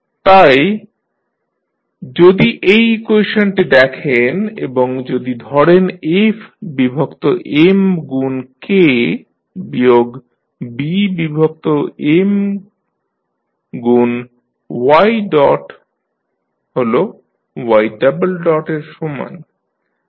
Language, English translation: Bengali, So, if you see this particular equation if you take f by M into K by M into y minus B by M into y dot is equal to y double dot